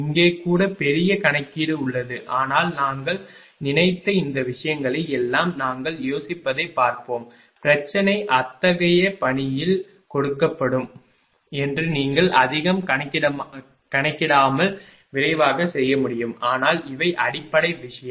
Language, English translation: Tamil, Here also huge competition is there, but ah we will see that ah we will think of all this things I have thought over that the problem will be given in such a fashion such that you can do it quickly right without ah calculating too much right, but these are the basic thing